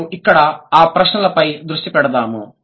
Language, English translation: Telugu, Let me just focus on the questions here